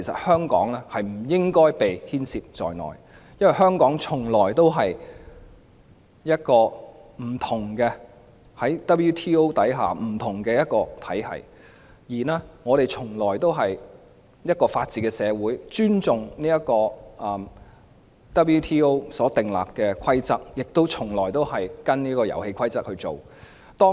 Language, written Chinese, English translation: Cantonese, 香港在世界貿易組織下從來都是一個不同的體系，我們從來都是一個法治社會，尊重世界貿易組織所訂立的規則，亦從來都跟從這些遊戲規則。, Hong Kong has all along participated in the World Trade Organization WTO as a separate entity; it has all along been a society which upholds the rule of law respects the rules set by WTO and follows the rules of the game